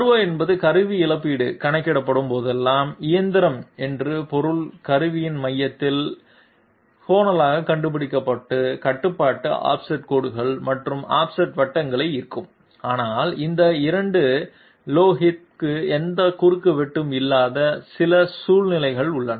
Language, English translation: Tamil, R0 means that whenever the tool compensation is being calculated, the machine will the machine control will draw offset lines and offset circles in order to find out the locus of the centre of the tool, but there are some situations in which these 2 loci will not have any intersection